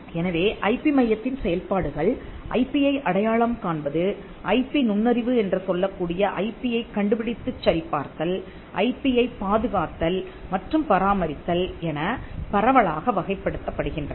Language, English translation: Tamil, So, the functions of the IP centre will just broadly classify them as identifying IP, screening IP what we call IP intelligence, protecting IP and maintaining IP